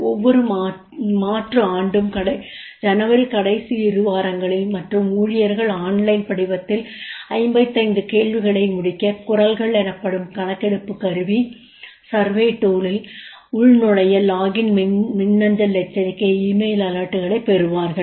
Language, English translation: Tamil, Every alternative year during the last two weeks of January, employees receive an email, alerts to log into survey two called voices to complete a 55 question on online form